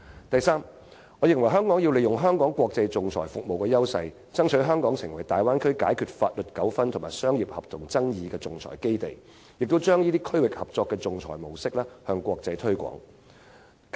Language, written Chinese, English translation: Cantonese, 再者，我認為香港要利用香港在國際仲裁服務的優勢，爭取香港成為大灣區解決法律糾紛及商業合同爭議的仲裁基地，並把這種區域合作的仲裁模式向國際推廣。, Besides I think Hong Kong should capitalize on its advantages in its international arbitration services strive to turn Hong Kong into an arbitration base for resolving legal conflicts and commercial contract disputes in the Bay Area and promote this arbitration mode based on regional cooperation in the international community